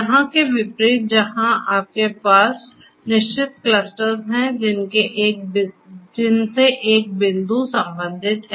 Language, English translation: Hindi, Unlike over here where you have definite you know distinct clusters to which one point is going to belong to